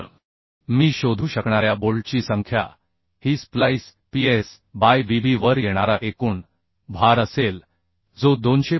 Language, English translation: Marathi, So the number of bolt I can find out number of bolt will be the total load coming on the splice Ps by Bv that will be 255